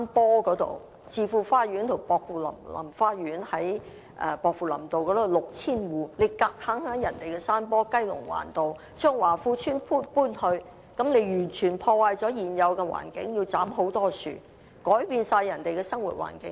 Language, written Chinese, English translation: Cantonese, 在薄扶林道的置富花園及薄扶林花園的 6,000 個住戶，政府強硬把雞籠灣的華富邨搬往人家的山坡去，這樣完全破壞了現有環境，斬去了大量樹木，完全改變人家的生活環境。, Or to develop at the hillside near Chi Fu Fa Yuen to build an estate for 6 000 households at Pok Fu Lam Road near Chi Fu Fa Yuen and Pokfulam Gardens or to relocate Wah Fu Estates residents at Kellett Bay to other peoples hillside because this will only destroy the environment by felling trees and changing the living environment of other people